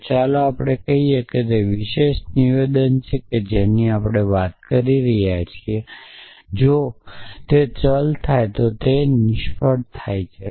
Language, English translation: Gujarati, So, let us say how that particular statement that we are talking about if variable occurs y then return failure comes to our